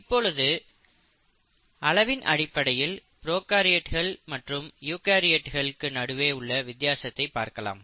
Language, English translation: Tamil, So let us go back and look at what are the similarity between prokaryotic and the eukaryotic cells